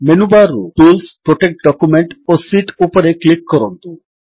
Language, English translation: Odia, From the Menu bar, click on Tools, Protect Document and Sheet